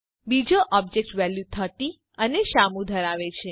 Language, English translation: Gujarati, The second object has the values 30 and Shyamu